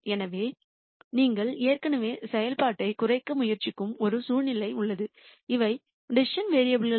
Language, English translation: Tamil, So, you already have a situation where you are trying to minimize a function and these are the decision variables